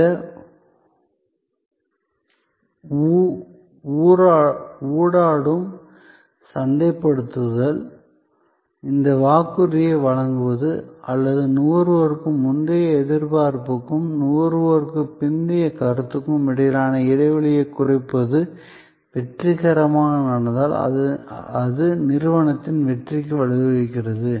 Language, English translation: Tamil, And if this interactive marketing this delivery of the promise or narrowing of the gap between the pre consumption expectation and post consumption perception happen successfully it leads to the company success